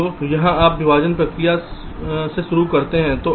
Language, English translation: Hindi, so here you start from the partitioning process